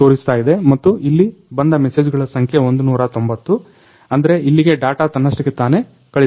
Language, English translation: Kannada, So, it shows and the number of messages which arrives over here that is 190 number of messages; that means, the data is automatically transmitted here